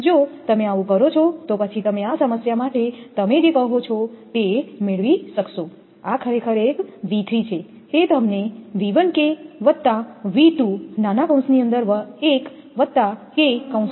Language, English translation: Gujarati, If you do so, then you will get your what you call for this problem your this one V 3 actually you will find V 1 K plus V 2 into 1 plus K